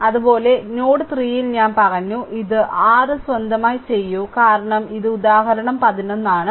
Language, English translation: Malayalam, Similarly at node 3 I told you please do it of your own because this is example 11